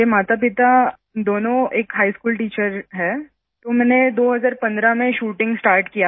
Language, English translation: Hindi, Both my parents are high school teachers and I started shooting in 2015